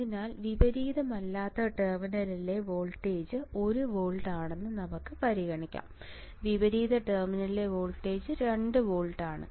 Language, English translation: Malayalam, So, let us now consider that my V non inverting that is voltage in non inverting terminal is 1 volt voltage at inverting terminal is 2 volt